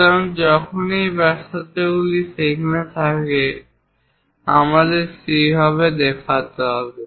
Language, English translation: Bengali, So, whenever this radiuses are there, we have to show it in that way